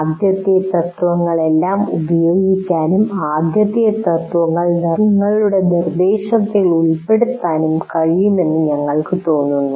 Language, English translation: Malayalam, We will talk about all the principles and we feel that it is possible to use all the first principles, incorporate the first principles into your instruction